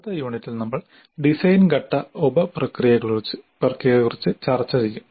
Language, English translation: Malayalam, Now in the next unit we will discuss the design phase sub processes